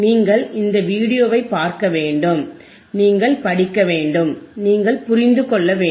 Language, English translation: Tamil, and yYou have to watch this video, you have to read, you have to watch and you have to understand